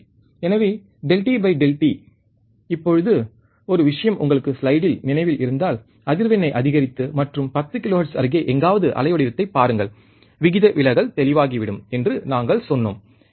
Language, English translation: Tamil, So, delta V by delta t, now one thing if you remember in the slide, we have said that increasing the frequency, and watch the waveform somewhere about 10 kilohertz, slew rate distortion will become evident